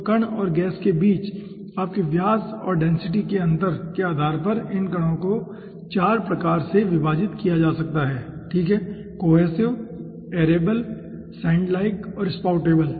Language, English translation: Hindi, okay, so based on your diameter and density difference between the particle and the gas, these 4 types of particles can be obtained, starting from cohesive, aerable, sand like and spoutable